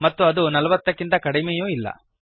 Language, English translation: Kannada, And it also not less than 40